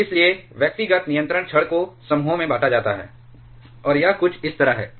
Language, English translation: Hindi, And therefore, individual control rods are grouped into clusters, and this something like this